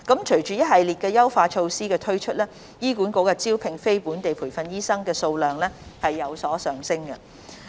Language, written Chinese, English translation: Cantonese, 隨着一系列優化措施的推出，醫管局招聘非本地培訓醫生的數量有所上升。, With the implementation of the enhancement measures the number of non - locally trained doctors recruited by HA has increased